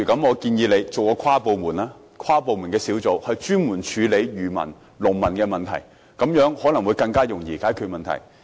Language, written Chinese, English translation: Cantonese, 我建議成立一個跨部門小組專責處理漁民及農民的問題，這樣可能較容易解決問題。, I propose to set up an inter - departmental task force dedicated to dealing with issues relating to fishermen and farmers . This way the problems can probably be dealt with more easily